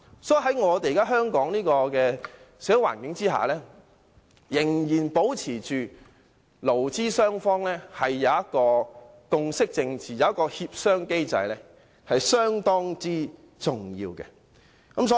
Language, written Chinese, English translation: Cantonese, 所以，在現時香港的社會環境下，仍然保持着勞資雙方之間的共識政治、協商機制是相當重要。, As such under the existing social circumstances of Hong Kong it is very important to maintain consensus politics and a negotiating mechanism between employers and employees